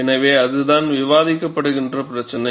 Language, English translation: Tamil, So, that is the issue, that is being discussed